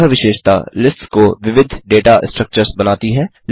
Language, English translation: Hindi, This property makes lists heterogeneous data structures